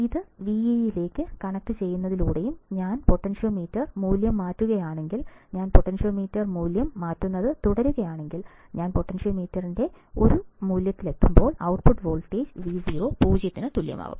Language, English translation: Malayalam, By connecting this to Vee and then if I change the potentiometer value, if I keep on changing the potentiometer value, I will reach a value of the potentiometer when the output voltage Vo equals to 0